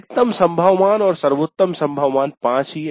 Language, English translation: Hindi, 6 and the maximum possible value, the best possible value is 5